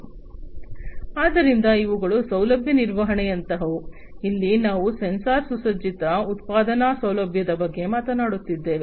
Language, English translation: Kannada, So, these are the ones like facility management, here we are talking about sensor equipped manufacturing facility